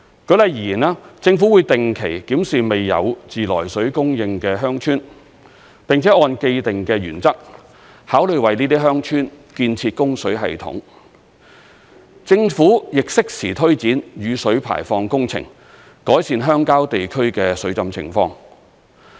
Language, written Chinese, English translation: Cantonese, 舉例而言，政府會定期檢視未有自來水供應的鄉村，並且按既定的原則，考慮為這些鄉村建設供水系統；政府亦適時推展雨水排放工程，改善鄉郊地區的水浸情況。, In the case of those villages without fresh water supply for instance the Government will review their circumstances regularly and consider the construction of a fresh water supply system for them under the established principle . The Government will likewise take forward stormwater drainage works in a timely fashion to rectify the flood problem in rural areas